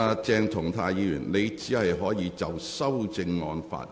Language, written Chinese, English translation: Cantonese, 鄭松泰議員，你現在只可就修正案發言。, Dr CHENG Chung - tai you are only allowed to speak on the amendment now